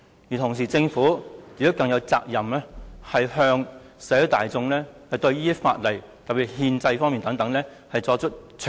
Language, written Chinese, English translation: Cantonese, 與此同時，政府有責任向社會大眾詳細交代法例涉及憲制方面的事宜。, At the same time the Government is obliged to explain clearly to the community as a whole the constitutional issues involved